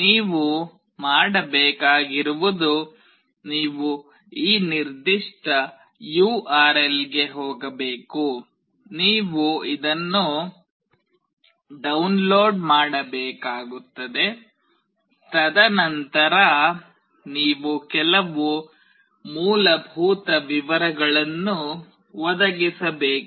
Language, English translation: Kannada, All you need to do is that you need to go this particular URL, you need to download this, and then you have to provide some basic details